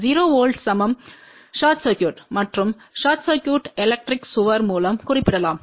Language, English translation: Tamil, 0 volt is equivalent to short circuit and short circuit can be represented by electric wall ok